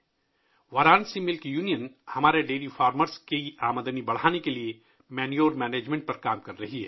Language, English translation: Urdu, Varanasi Milk Union is working on manure management to increase the income of our dairy farmers